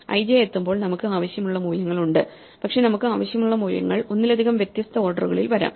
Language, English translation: Malayalam, We want to directly say when we reach (i, j) we have the values we need, but the values we need could come in multiple different orders